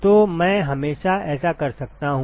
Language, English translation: Hindi, So, I can always do that